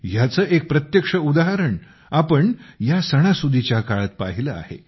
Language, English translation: Marathi, We have seen a direct example of this during this festive season